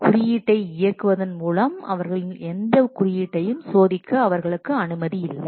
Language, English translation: Tamil, They cannot use what they are not allowed to test any of their code by what executing the code